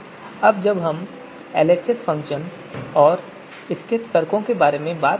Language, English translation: Hindi, So now let us talk about this LHS function